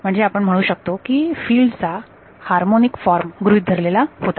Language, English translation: Marathi, So, we can say harmonic form of the field was assumed